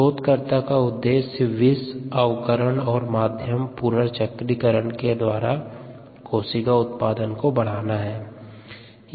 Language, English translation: Hindi, the aim is to enhance cell yields through toxin reduction and medium recirculation